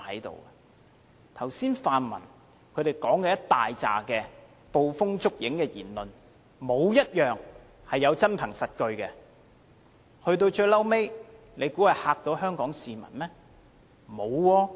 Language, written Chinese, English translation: Cantonese, 剛才泛民大量的捕風捉影的言論，沒有一點是有真憑實據的，可以嚇倒香港市民嗎？, The groundless claims made by pan - democratic Members just now are not supported by evidence at all . Will these claims scare Hong Kong people? . Not really